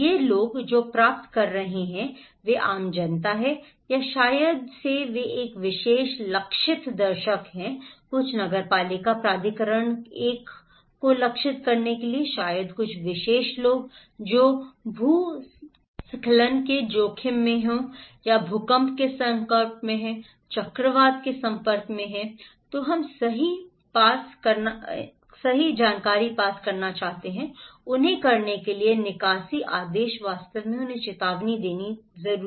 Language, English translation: Hindi, Who are receiving these informations they are general public or maybe they are a particular target audience some municipal authority one to target maybe some particular people, who are at risk exposed to landslides, exposed to earthquake, exposed to cyclone right then We want to pass the evacuation order to them, evacuate really warning informations to them